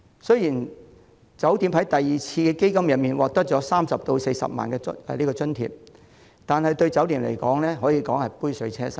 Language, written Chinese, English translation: Cantonese, 雖然每間酒店在第二輪基金中獲得30萬元或40萬元津貼，但對酒店業而言可說是杯水車薪。, Although each hotel will get a subsidy of 300,000 or 400,000 from the second round of AEF it is utterly inadequate for the hotel sector